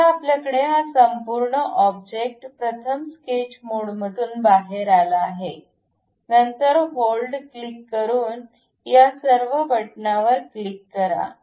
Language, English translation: Marathi, Now, we have this entire object first come out of sketch mode, then pick click hold select, all these buttons by clicking hold